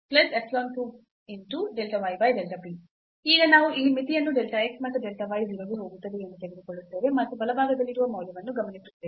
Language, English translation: Kannada, And now we will take the limit here as delta x and delta y goes to 0 and observe what is the value right hand side when we take the limit delta x, and delta y goes to 0